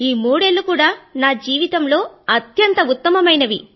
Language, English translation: Telugu, three years have been the best years of my life